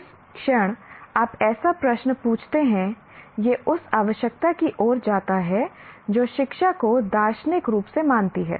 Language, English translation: Hindi, The moment you ask such a question, it leads to the necessity that to consider education philosophically